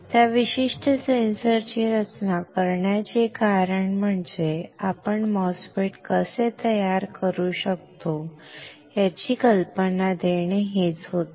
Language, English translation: Marathi, The reason of designing that particular sensor was to give you an idea of how we can fabricate a MOSFET, right